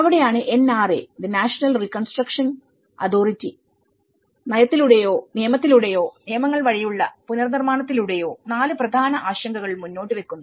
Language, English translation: Malayalam, So, that is where the NRA, the National Reconstruction Authority, it brings 4 important because all these whether through the policy, the act or the reconstruction bylaws, they are talking about 4 important concerns